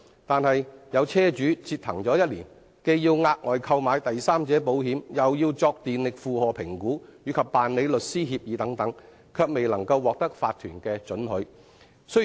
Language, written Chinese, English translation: Cantonese, 但是，有車主為此折騰1年，既要額外購買第三者保險，又要作電力負荷評估，以及辦理律師協議等，最終卻未能獲得法團的准許。, There was in fact a case in which the car owners concerned were required to take out additional third party insurance conduct electricity load assessment and sign agreements with solicitor but in the end after one whole year they still failed to get the approval of the owners corporation